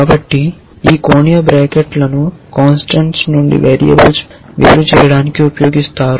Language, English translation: Telugu, So, this angular brackets are used to distinguish variables from constants